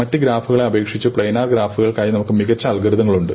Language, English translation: Malayalam, For planar graphs, we might have better algorithms than for arbitrary graphs